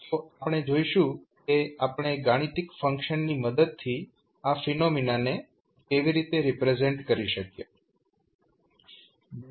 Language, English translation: Gujarati, So, we will see how we will represent that particular phenomena with the help of a mathematical function